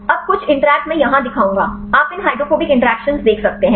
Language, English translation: Hindi, Now, some of the interactions I will show here; you can see these hydrophobic interactions